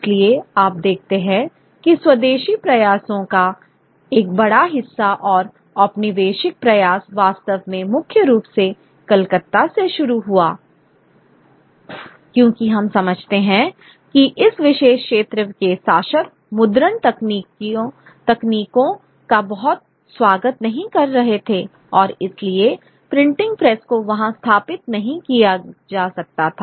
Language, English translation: Hindi, So, you see that a large part of the part of the indigenous efforts as well as the colonial efforts actually begin from from from Calcutta principally because you know we understand that the rulers of this particular region were not very very very welcoming of the printing technologies and therefore the printing press could not be set up there